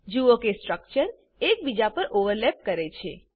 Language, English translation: Gujarati, Observe that two structures overlap each other